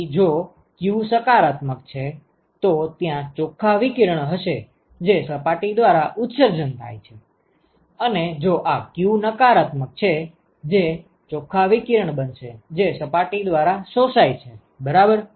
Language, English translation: Gujarati, So, if q is positive, if q is positive then there is going to be net radiation that is emitted by the surface, and if this q is negative that is going to be net radiation which is absorbed by the surface ok